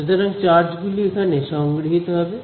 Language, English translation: Bengali, So, the charges sort of will accumulate there